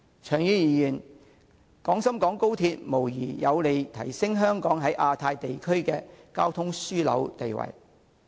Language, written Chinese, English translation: Cantonese, 長遠而言，廣深港高鐵無疑有利提升香港在亞太地區的交通樞紐地位。, In the long term XRL will undoubtedly help in promoting Hong Kongs status as a transportation hub in the Asia - Pacific region